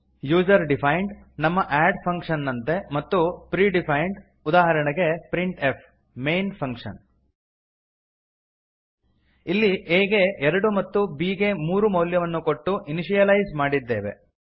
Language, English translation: Kannada, There are two types of functions User defined that is our add function and Pre defined that is printf and main function Here we have initialized a and b by assigning them values as 2 and 3 Here we have declared a variable c